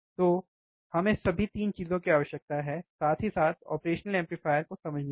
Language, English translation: Hindi, So, we require this all 3 things together, along with the operational amplifier to understand